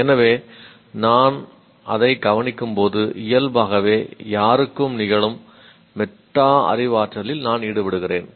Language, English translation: Tamil, So when I notice that I am engaging in metacognition, which naturally happens to any one